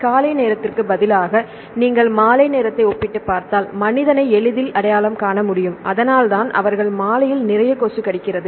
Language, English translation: Tamil, Also instead of the morning time, if you compare the evening time it can easily recognize human this is why they have a lot of mosquito bites in the evening, right